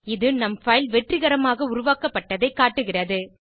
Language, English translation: Tamil, This shows that our file is successfully created